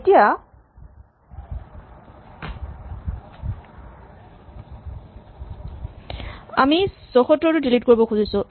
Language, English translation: Assamese, Now, we try to delete 74